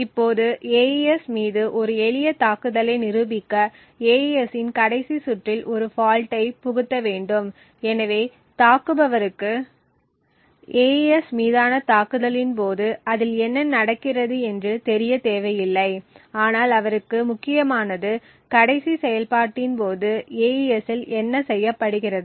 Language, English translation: Tamil, Now in order to demonstrate a simple attack on AES what an attacker needs to do is to inject a fault in exactly the last round of AES, so the attacker need not know what is happening during the entire AES but important for him is the last operation what is performed on AES